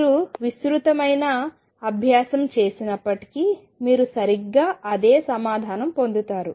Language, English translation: Telugu, Even if you do an elaborate exercise you will get exactly the same answer